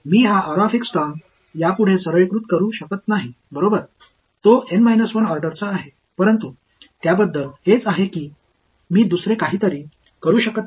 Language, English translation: Marathi, I cannot simplify this r x term anymore its right, it is of order N minus 1, but that is about it right I cannot do anything else